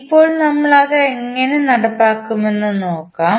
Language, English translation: Malayalam, Now, let us see how we will implement it